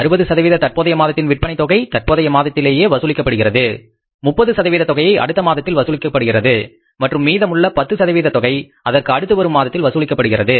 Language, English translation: Tamil, But experiences have shown that 60% of the current sales are collected in the current month, 60% of the current month sales are collected in the current month, 30% in the next month and 10% in the month thereafter